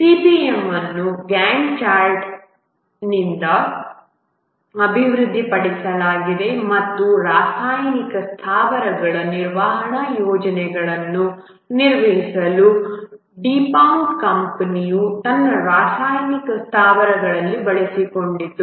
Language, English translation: Kannada, The CPM was developed from Gant Chet and was used by the company DuPont in its chemical plants for managing maintenance projects of chemical plants